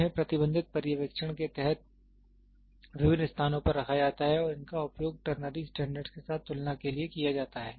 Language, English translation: Hindi, They are kept at different locations under restricted supervision and are used for comparison with ternary standards